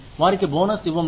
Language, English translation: Telugu, Give them a bonus